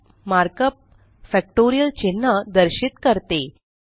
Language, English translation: Marathi, The mark up fact represents the factorial symbol